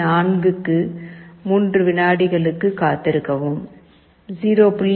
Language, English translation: Tamil, 4 wait for 3 seconds, 0